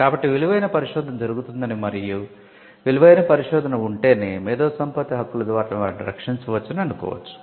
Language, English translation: Telugu, So, there is an assumption that there is research that is valuable and only if there is research that is valuable, can that be protected by intellectual property rights